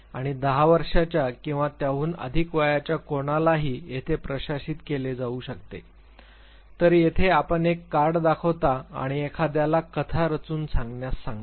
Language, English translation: Marathi, And it can be administered to anybody who is ten years of age or above now what happens here you show the card and you ask the individual to narrate story to construct and narrate a story